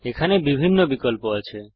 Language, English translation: Bengali, There are various options here